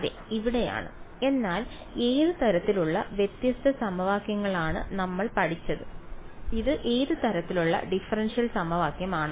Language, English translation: Malayalam, Yes here it is, but which kind we have studied different kinds of integral equations what kind of differential equation integral equation is this